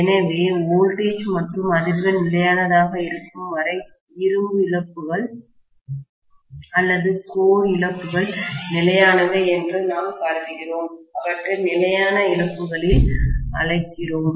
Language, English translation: Tamil, So, if we assume that as long as the voltage and frequency are kept as constant, the iron losses or core losses are constant, so we call them as constant losses